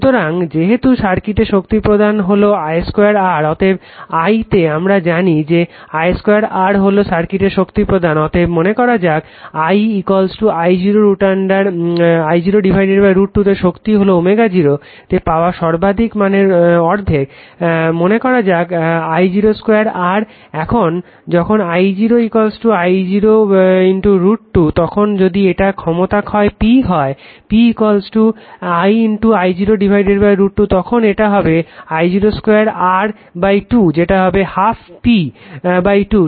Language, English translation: Bengali, So, since the power delivered to the circuit is I square R therefore, at I is equal to we know that power I square R is the power delivered to the circuit therefore, suppose at I is equal to I 0 by root 2 say the power is 1 half of the maximum value which occurs at omega 0 right suppose suppose your this one we know I square r right, now when I is equal to say I 0 by root 2 then if this is the power loss P P is equal to I is equal to I 0 byroot 2 then it will be I 0 square R by 2 that is it will be half P by 2 right